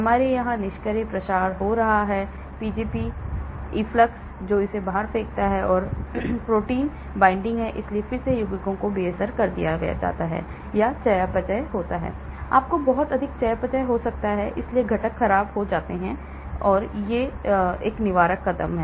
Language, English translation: Hindi, , so we have passive diffusion taking place here, Pgp efflux that is throws it out then we have protein binding, so again the compounds get neutralized or metabolism, you could have lot of metabolism taking place, so the components get degraded, so these are preventive steps